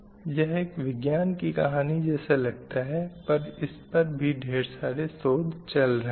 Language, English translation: Hindi, So it may look like a science fiction, but still a lot of research is going on to make it reality